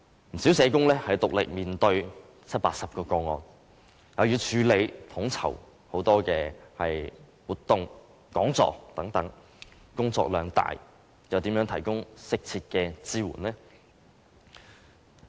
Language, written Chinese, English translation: Cantonese, 不少社工獨力面對七八十宗個案，又要處理統籌很多活動和講座等，工作量大又怎能提供適切的支援？, Many social workers have to handle 70 to 80 cases on their own and organize many activities and seminars etc . How will they be able to provide appropriate support when their workload is so heavy?